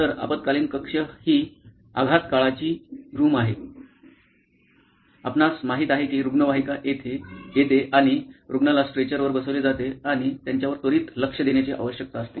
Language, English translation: Marathi, So, emergency room is the trauma care, you know the ambulance comes in and the patient is wheeled in on a stretcher and they need immediate attention